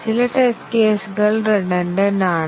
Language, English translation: Malayalam, Some test cases are redundant